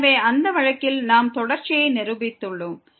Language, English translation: Tamil, So, in that case we have proved the continuity